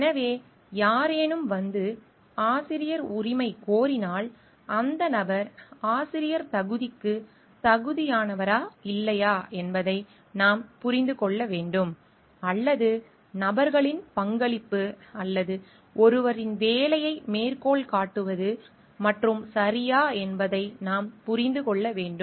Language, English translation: Tamil, So, that if somebody comes and claims for authorship, we have to understand whether that person is eligible for authorship or not, or only acknowledging that persons contribution is or citing somebody s work is ok